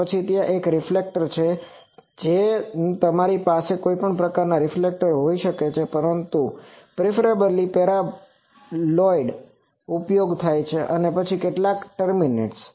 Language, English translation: Gujarati, Then there is a reflector you can have any type of reflector, but preferably paraboloids are used and then some terminations